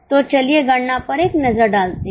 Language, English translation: Hindi, So, let us have a look at the calculation